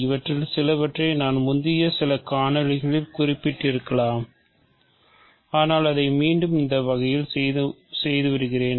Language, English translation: Tamil, Some of this I may have referred to in some earlier videos, but let me do it any way again